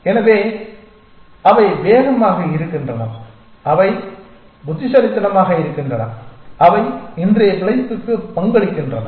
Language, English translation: Tamil, So, either they are fast or they are smart essentially which is contribute today’s survival